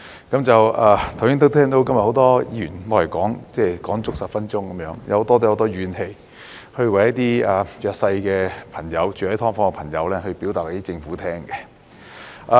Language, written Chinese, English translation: Cantonese, 剛才很多議員都說足10分鐘，大家都有很多怨氣，為一些住在"劏房"的弱勢朋友向政府表達意見。, Just now many Members used up their 10 - minute speaking time as everyone has a lot of grievances and wishes to relay to the Government the views of some underprivileged people residing in SDUs